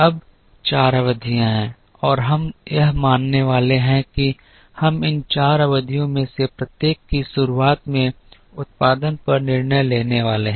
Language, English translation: Hindi, Now there are four periods and we are going to assume that we are going to make decisions on production at the beginning of each of these four periods